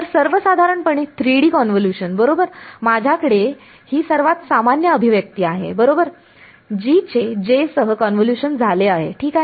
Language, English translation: Marathi, So, in general 3D convolution right, I have this is the most general expression right G convolved with J ok